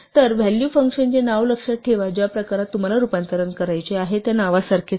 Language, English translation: Marathi, So, the value, remember the name of the function is the same as the name of the type to which you want the conversion to be done